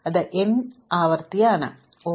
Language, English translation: Malayalam, They are n iteration